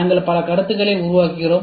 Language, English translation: Tamil, We develop so many concepts